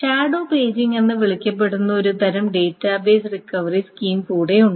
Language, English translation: Malayalam, There is one more type of database recovery scheme that can be followed, which is called the shadow paging